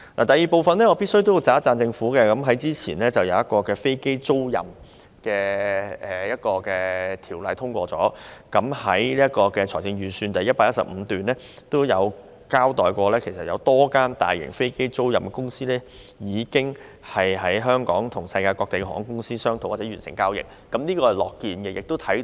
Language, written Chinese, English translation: Cantonese, 第二，我必須稱讚政府早前通過了一項與飛機租賃業務有關的法例，而預算案第115段也指有多間大型飛機租賃公司已透過香港與世界各地航空公司商討或完成交易。, Secondly I must commend the Government for the passage of a piece of legislation relating to the aircraft leasing business earlier . Paragraph 115 of the Budget also states that a number of large - scale aircraft leasing companies have negotiated or reached deals with airlines around the world through Hong Kong